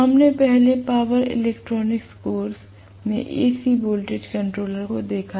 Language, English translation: Hindi, We had looked at AC voltage controller earlier in power electronics course